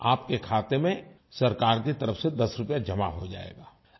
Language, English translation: Hindi, Ten rupees will be credited to your account from the government